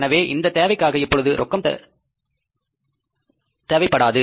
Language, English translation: Tamil, So, no cash is required for this purpose